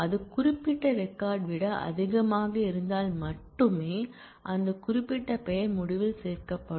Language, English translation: Tamil, And only if that is greater than that particular record, that particular name will be included in the result